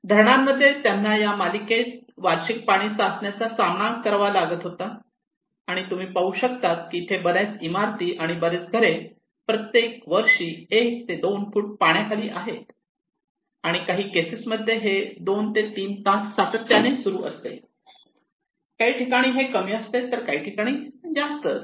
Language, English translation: Marathi, In waterlogging, they were facing annual waterlogging in these series, and you can see here that most of the building most of the houses they face this one to two feet waterlogging annually and it continues for around two to three hours most of the cases okay, some are less some are more like that